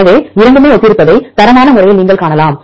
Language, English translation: Tamil, So, qualitatively you can see that both are similar